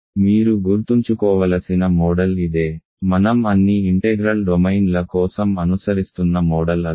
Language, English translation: Telugu, So, that is the model you have to keep in mind; exactly the same model I am following for all integral domains